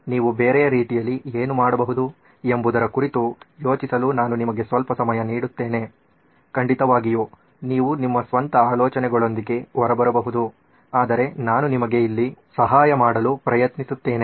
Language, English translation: Kannada, I will give you a moment to think about what can you do other way round opposite of, of course you can come out with your own ideas but I am just trying to help you over here